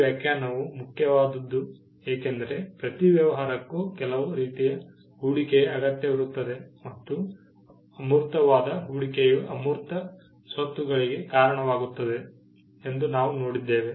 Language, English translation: Kannada, This definition is important because, every business also requires some form of investment and we saw that investment in intangible leads to intangible assets